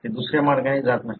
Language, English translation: Marathi, It doesn’t go the other way